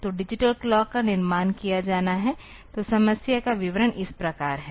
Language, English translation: Hindi, So, in digital clock has to be constructed; so, statement of the problem is like this